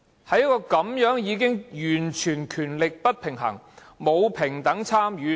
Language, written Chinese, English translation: Cantonese, 這個議會的權力已經完全不平衡，沒有平等參與。, There is a total power imbalance in the legislature . There is no equal participation at all